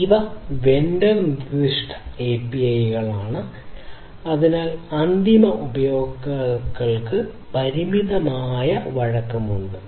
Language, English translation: Malayalam, And so because these are vendor specific API’s there is limited flexibility that the end users have